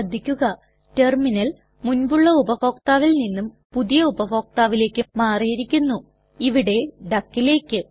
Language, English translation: Malayalam, Please notice that, the Terminal switches from the previous user to the new user, which is duck in our case